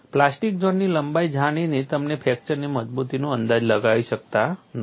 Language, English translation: Gujarati, By knowing the plastic zone length you cannot estimate fracture toughness